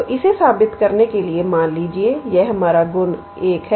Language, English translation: Hindi, So, to prove this, so, let us say this is our property – 1